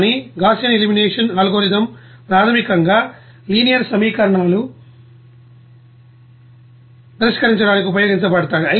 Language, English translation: Telugu, But Gaussian elimination algorithm is basically used for linear equation solving